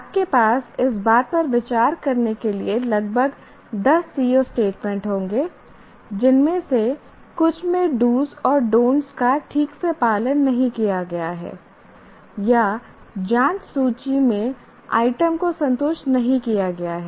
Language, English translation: Hindi, So, we will have about 10 CO statements for you to consider wherein either some do's and don'ts are not properly followed or it does not satisfy the items in the checklist